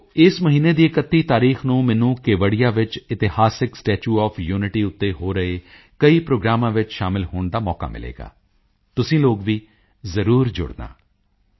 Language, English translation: Punjabi, Friends, on the 31stof this month, I will have the opportunity to attend many events to be held in and around the historic Statue of Unity in Kevadiya…do connect with these